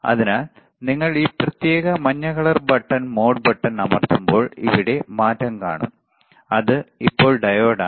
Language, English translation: Malayalam, So, when you press the mode this particular yellow colour button you will see the change here now it is diode